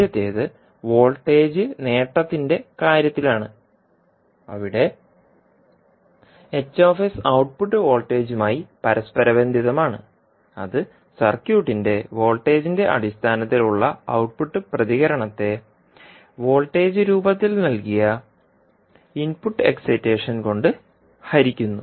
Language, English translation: Malayalam, First is H s in terms of voltage gain where you correlate the output voltage that is output response of the circuit in terms of voltage divided by input excitation given in the form of voltage